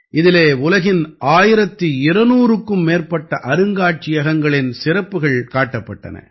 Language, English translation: Tamil, It depicted the specialities of more than 1200 museums of the world